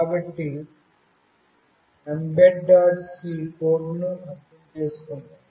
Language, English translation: Telugu, So, let us understand the mbed C code